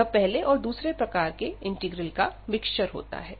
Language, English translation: Hindi, Now, we have these two integrals of type 2 integral